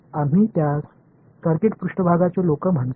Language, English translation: Marathi, What do we call it people from circuits background